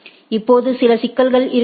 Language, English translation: Tamil, Now, there may be some problems right